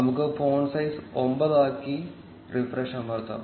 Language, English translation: Malayalam, Let us change the font size to 9, and press refresh